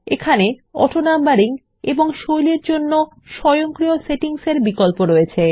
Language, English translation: Bengali, You have a choice of automatic settings for AutoNumbering and Styles